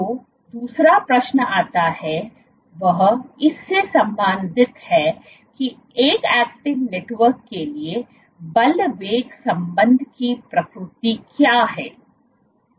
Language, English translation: Hindi, The other question which comes is related to it is what is the nature of force velocity relationship for an actin network